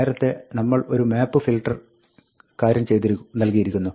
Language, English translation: Malayalam, Earlier, we had given a map filter thing